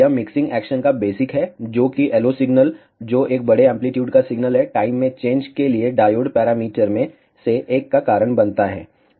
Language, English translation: Hindi, This is the basic of mixing action, that the LO signal which is a large amplitude signal causes one of the diode parameters to change in time